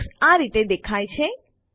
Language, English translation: Gujarati, This is how Alex appears